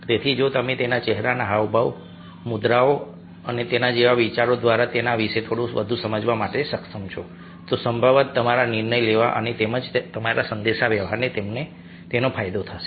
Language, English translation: Gujarati, so if you are able to understand the little more about him through his facial expression, gesture, postures and thinks like that, then probably your decision making and as well as your communication would benefit from that